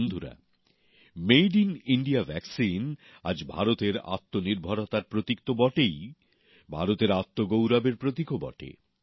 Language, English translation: Bengali, today, the Made in India vaccine is, of course, a symbol of India's selfreliance; it is also a symbol of her selfpride